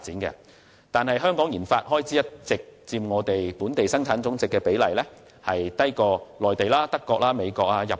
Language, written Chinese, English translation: Cantonese, 然而，香港的研發開支佔本地生產總值的比例向來低於內地、德國、美國和日本。, However Hong Kongs gross expenditure on RD as a percentage to Gross Domestic Product GDP has been lower than that of the Mainland Germany the United States and Japan